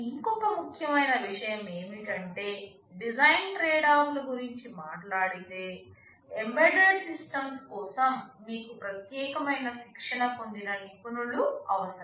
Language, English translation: Telugu, And another important thing is that talking about design tradeoffs, for embedded systems you need a different kind of trained professionals